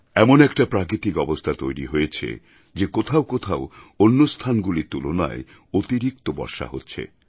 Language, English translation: Bengali, It's a vagary of Nature that some places have received higher rainfall compared to other places